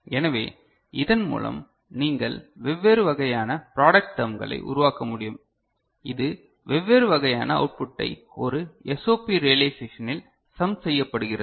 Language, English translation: Tamil, So, by that you can generate different kind of product terms, which gets summed up in a SOP realization of different kind of output ok